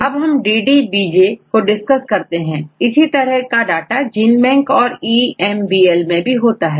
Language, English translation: Hindi, Now, we discussed about DDBJ, similar data are maintain in the GenBank and EMBL right